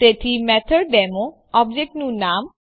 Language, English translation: Gujarati, So MethodDemo object name